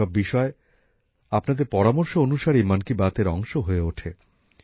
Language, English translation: Bengali, All these topics become part of 'Mann Ki Baat' only because of your suggestions